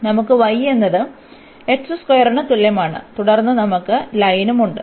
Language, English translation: Malayalam, So, we have y is equal to x square and then we have the line